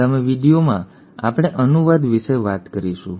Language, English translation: Gujarati, In the next video we will talk about translation